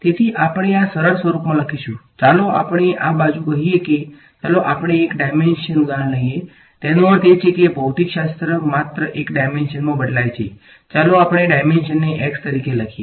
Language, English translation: Gujarati, So, we will write this in a familiar simpler form, let us this side say take let us take a one dimensional example; that means, the physics varies only in one dimension let us take the dimension to be x